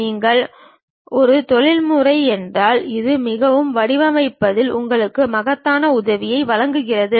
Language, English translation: Tamil, If you are a professional this gives you enormous help in terms of designing the objects